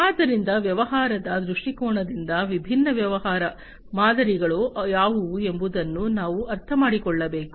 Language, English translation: Kannada, So, from the business perspective, we need to understand what are the different business models